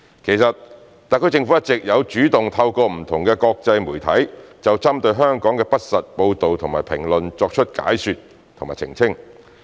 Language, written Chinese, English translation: Cantonese, 其實，特區政府一直有主動透過不同的國際媒體就針對香港的不實報道和評論作出解說和澄清。, All along the SAR Government has actually been playing an active role to make explanations and clarifications through international media in response to any false reports and comments against Hong Kong